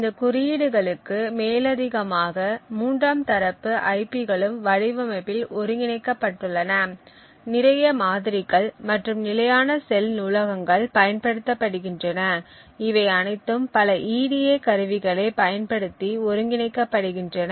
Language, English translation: Tamil, In addition to these codes a lot of third party IPs are also integrated into the design, a lot of models and standard cell libraries are used and all of these are integrated using several EDA tools